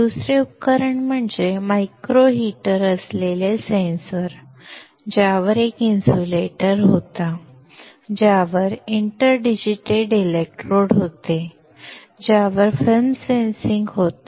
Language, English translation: Marathi, Second device is a sensor with a micro heater, on which was an insulator, on which were inter digitated electrodes, on which was sensing film